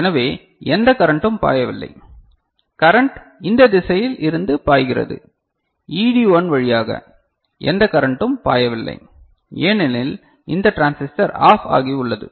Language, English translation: Tamil, So, no current is flowing, current is flowing in this direction from through ED1 no current is flowing, because this transistor is OFF is it clear, right